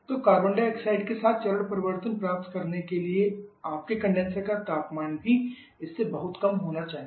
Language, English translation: Hindi, So, in order to achieve our phase change with carbon dioxide your condenser temperature also has to be much lower than this